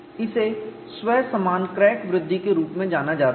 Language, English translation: Hindi, This is known as self similar crack growth